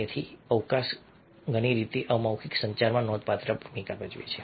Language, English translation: Gujarati, so space plays a significant role in non verbal communication in many ways